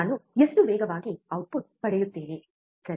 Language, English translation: Kannada, How fast I get the output, right